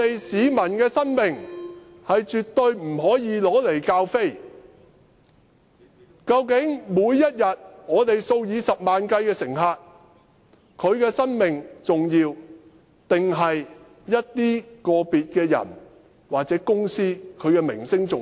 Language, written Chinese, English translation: Cantonese, 市民的生命絕對不可以用來開玩笑，究竟每天數以十萬計乘客的生命重要，還是個別人士或個別公司的名聲重要？, The lives of the people are not something to be made fun of . Which of the two the lives of hundred thousand passengers each day or the reputation of some individuals and companies is more important?